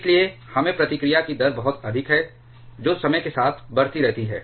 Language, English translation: Hindi, So, we get a very high rate of reaction which keeps on increasing with time